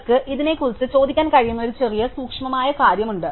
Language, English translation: Malayalam, There is a small subtle thing that you can ask about this